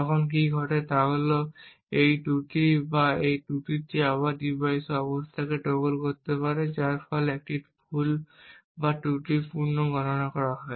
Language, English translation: Bengali, So what happens when we have a glitch in the power consumption is that this glitch or this glitch can again toggle the device state resulting in a wrong or faulty computation